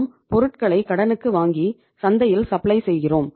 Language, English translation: Tamil, When we are buying on credit we are supplying in the market